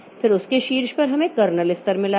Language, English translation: Hindi, Then on top of that we have got the kernel level